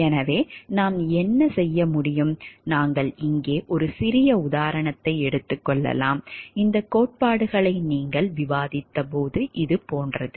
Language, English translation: Tamil, So, what we can do like we can take a small example over here, which talks of like when you have discussed these theories